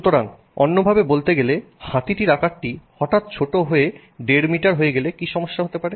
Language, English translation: Bengali, So, in other words, is there a problem if we suddenly bring down the size of an elephant to you know 1